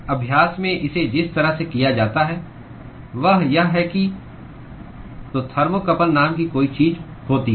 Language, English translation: Hindi, The way it is done in practice is that so, there is something called a thermocouple